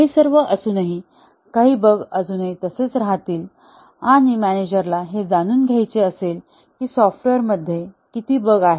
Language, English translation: Marathi, In spite of all that, some bugs will be still left behind and a manager naturally would like to know, how many bugs are there in the software